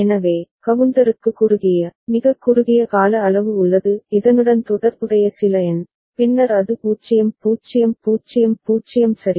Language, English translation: Tamil, So, the counter is having a short, very short duration some number associated with this and then it goes to 0 0 0 0 ok